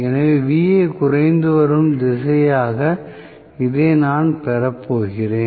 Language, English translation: Tamil, So, I am going to have this as Va decreasing direction